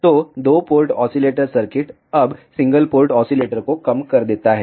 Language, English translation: Hindi, So, two port oscillator circuits, now reduces to single port oscillator